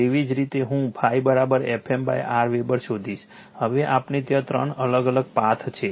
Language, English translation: Gujarati, I will find out similarly phi is equal to F m by R Weber now we have to there are three different path